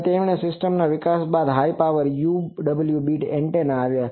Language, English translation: Gujarati, And on developing that system actually came the high power UWB antennas